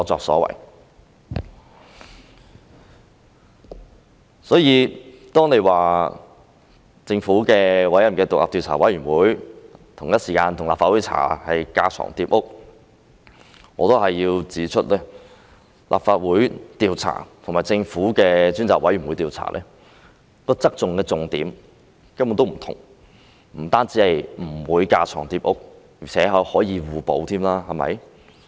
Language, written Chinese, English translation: Cantonese, 所以，如果說政府委任的獨立調查委員會與立法會同時進行調查是架床疊屋，我要指出，立法會與政府的獨立調查委員會調查的側重點根本不同，不單不會架床疊屋，而且可以互補。, This is what the pro - Government camp has done . Therefore if it is said that inquiries by the government - appointed Commission of Inquiry and the Legislative Council in parallel would be redundant I have to point out that the Legislative Council and the Governments Commission have different focuses in their investigations . Their investigations are not redundant and better still they are complementary to each other